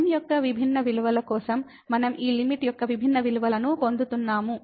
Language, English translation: Telugu, For different values of , we are getting different value of this limit